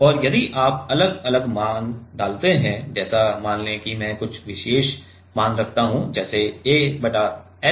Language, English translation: Hindi, And if you put different values like let us say I put some particular value like a by h